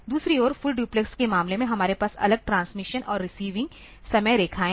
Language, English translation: Hindi, On other hand in case of full duplex we have separate transmission and receiving time lines